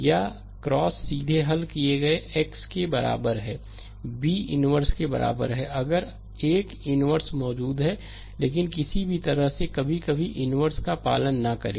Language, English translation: Hindi, Or x is equal to directly solved x is equal to a inverse b of course, if a inverse exist, but any way ah sometimes we do not follow a inverse